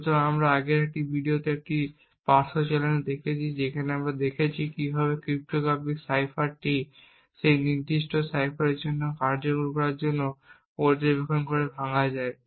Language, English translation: Bengali, So, we had seen such a side channel in the in a previous video where we seen how cryptographic cipher can be broken by monitoring the execution time for that particular cipher